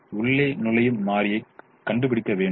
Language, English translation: Tamil, so we have to find out the entering variable